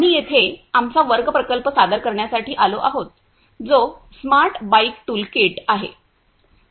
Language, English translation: Marathi, We are here to present our class project which is Smart Bike Toolkit